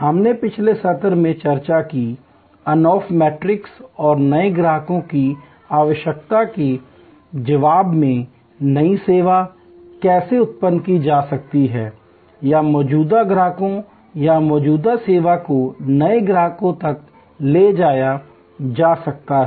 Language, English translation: Hindi, We discussed in the last session, the Ansoff matrix and how new service can be generated in response to the need of new customers or existing customers or existing service can be taken to new customers